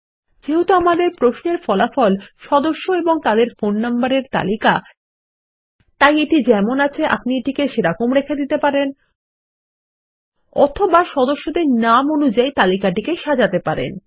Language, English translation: Bengali, Since the result of our query is a list of members and their phone numbers, we can leave this as is, Or we can order the list by member names